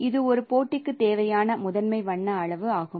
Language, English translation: Tamil, And so this is the primary color amount needed for a match